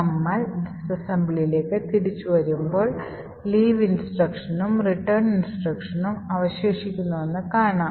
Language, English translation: Malayalam, Now let us get back to the disassembly and what we see is that there are 2 instructions remaining one is the leave instruction and then the return instruction